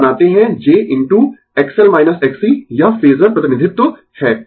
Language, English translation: Hindi, You make j into X L minus X C this is the phasor representation